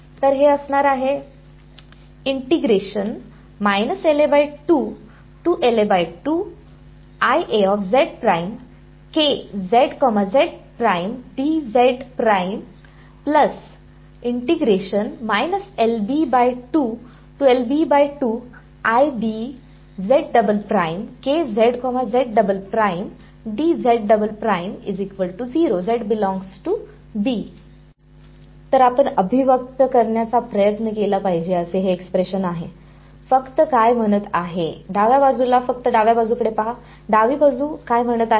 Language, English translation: Marathi, So, this is the expression that you should try to interpret what is just saying that, the left hand side just look at the left hand side, what is the left hand side saying